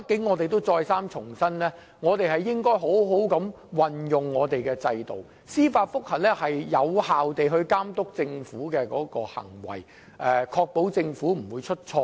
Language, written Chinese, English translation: Cantonese, 我們得再三重申，我們應好好運用這個制度，因為司法覆核可有效監督政府的行為，確保政府不會出錯。, We have to reiterate that we should make good use of the system for it is by means of judicial review that we can monitor the acts of the Government effectively and ensure that the Government will not make mistakes